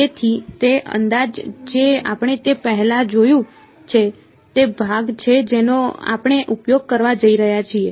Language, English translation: Gujarati, So, that approximation which we have seen before that is the part that we are going to use